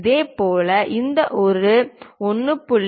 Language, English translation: Tamil, Similarly, let us look at this one 1